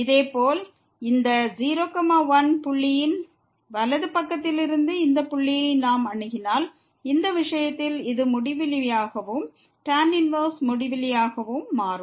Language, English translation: Tamil, Similarly, if we approach this point from the right side of this point, then in this case this will become infinity and the tan inverse infinity